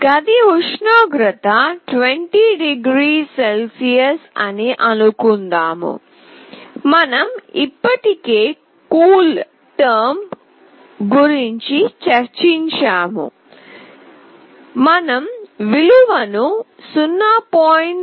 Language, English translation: Telugu, Suppose, the room temperature is 20 degree centigrade, we have already discussed about CoolTerm; suppose we find the value as 0